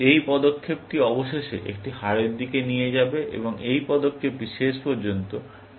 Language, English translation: Bengali, This move will eventually, lead to a loss, and this move will eventually, lead to a draw